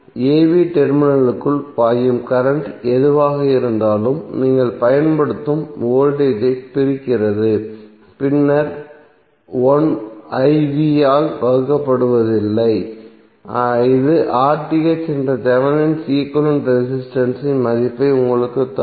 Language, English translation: Tamil, Whatever the current which is flowing inside the terminal a b divided the voltage which you are applying then v naught divided by I naught would be giving you the value of Thevenin equvalent resistance that is RTh